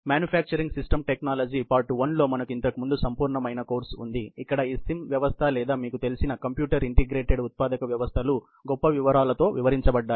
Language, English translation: Telugu, We had a extensive course earlier in manufacturing systems technology, part 1, where these sim system or you know computer integrated manufacturing systems were described in great details